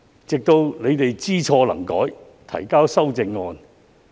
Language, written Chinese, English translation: Cantonese, 直到他們後來知錯能改，才肯提交修正案。, It was not until they had realized and rectified their mistakes that they submitted the amendments later